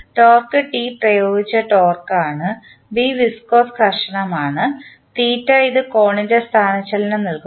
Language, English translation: Malayalam, Torque T is the applied torque, B is viscous friction and it is giving the displacement of angle theta